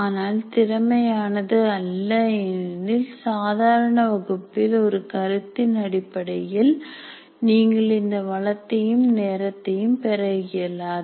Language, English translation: Tamil, But we cannot call it efficient because in a regular class with respect to one concept, you are not likely to have this resource nor the time available for it